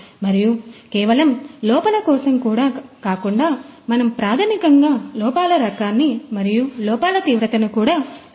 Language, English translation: Telugu, And also not only that the defects you know we basically mean the type of the defects and also the severity of the defects